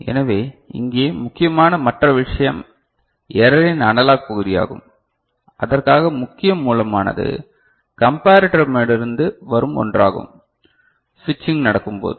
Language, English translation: Tamil, So, the other thing that is important here is the analog part of the error right, and which is for which the main source is the one that is coming from the comparator ok, the switching that is taking place